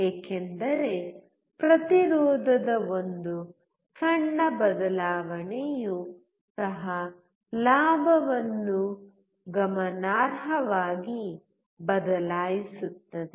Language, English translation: Kannada, This is because, even a small change in resistance will change the gain significantly